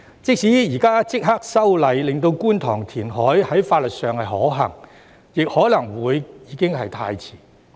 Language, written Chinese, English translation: Cantonese, 即使現在立刻修例，令觀塘填海在法律上可行，亦可能已經太遲。, Even if the legislation is amended immediately to make reclamation in Kwun Tong legally feasible it may be too late